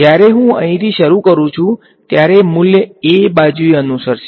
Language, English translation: Gujarati, When I start from here the value will follow along a right